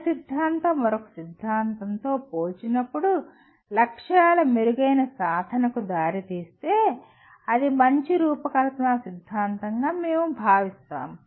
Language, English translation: Telugu, That if one theory leads to better achievement of goals when compared to another theory, then we consider it is a better designed theory